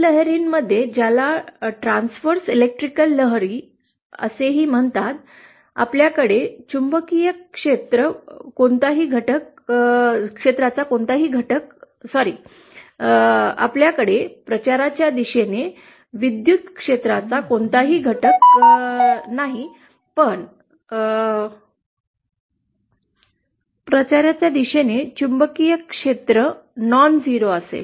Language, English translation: Marathi, In TE waves which are also known as transverse electric waves, we have no component of the magnetic field along sorry we have no component of the electric field along the direction of propagation but the component of magnetic field along the direction of propagation will be nonzero